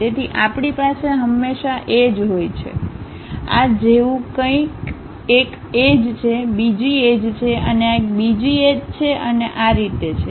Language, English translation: Gujarati, So, we always be having edges; something like this is one edge, other edge and this one is another edge and so on